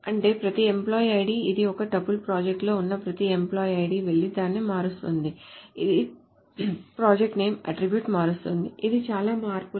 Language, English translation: Telugu, That means every employee ID, so this is a tuples, so every employee ID which works in the project will go and change its corresponding project name attribute, which is a lot of changes